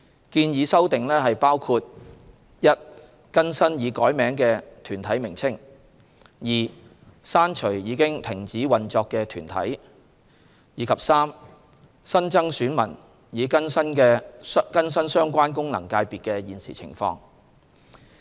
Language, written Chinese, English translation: Cantonese, 建議修訂包括：一、更新已改名的團體名稱；二、刪除已停止運作的團體；及三、新增選民以更新相關功能界別的現時情況。, The proposed amendments include first updating the names of corporates that have had their names changed; second removing corporates which have ceased operation; and third adding new electors to bring the FCs up to date to the prevailing situation